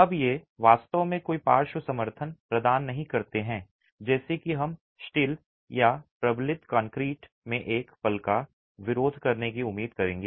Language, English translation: Hindi, Now, these do not really provide any lateral support like we would expect in a moment resisting frame in steel or reinforced concrete